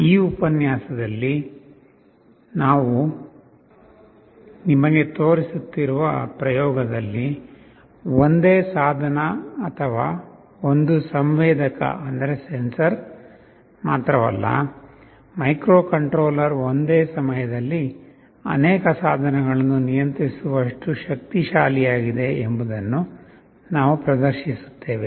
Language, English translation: Kannada, Now in the experiment that we shall be showing you in this lecture, we shall demonstrate that not only one device or one sensor, the microcontroller is powerful enough to control multiple devices at the same time